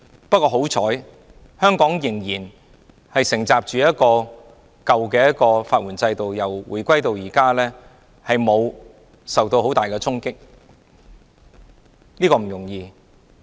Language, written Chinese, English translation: Cantonese, 不過，幸好香港仍承襲舊有的法援制度，由回歸至今，沒有受到很大的衝擊，這是不容易的。, Fortunately Hong Kong has inherited the old legal aid system which has not been hard hit since the reunification . This is by no means easy